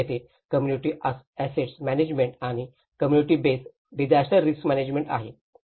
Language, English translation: Marathi, So this is where the community asset management and the community base disaster risk management